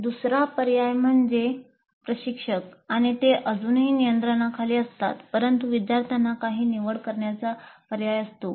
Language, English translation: Marathi, The second alternative is that instructor is still in controls, but students have some choice